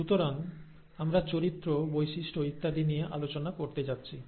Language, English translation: Bengali, So we are going to deal in terms of characters, traits and so on